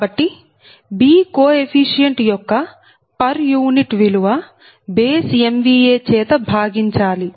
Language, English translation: Telugu, so per unit value of b coefficient must be divided by base m v a